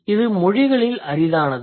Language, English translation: Tamil, That is rare across languages